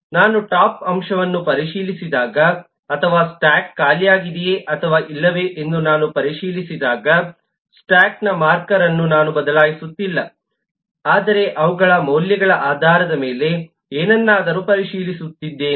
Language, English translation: Kannada, when I checked the top element, or I check if a stack is empty or not, am not changing the store of the object but am just checking out something based on their values